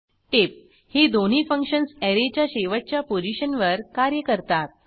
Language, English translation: Marathi, Note: Both these functions work at last position of an Array